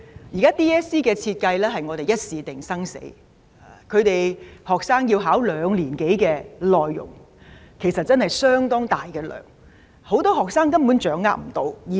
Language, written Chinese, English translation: Cantonese, 現時 DSE 的設計是"一試定生死"，學生的考試範圍是兩年多的教學內容，其實相當大量，很多學生根本無法掌握。, At present the design of DSE is such that the performance of a student is assessed on the basis of one single examination . The scope of DSE includes a lot of curriculum contents covered in more than two years and many students cannot cope with them